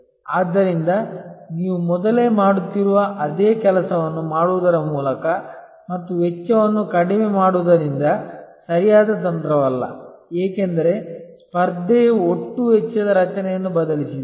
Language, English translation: Kannada, So, then just by doing the same thing that you have being doing earlier and reducing cost may not be the right strategy, because the competition has actually change the total cost structure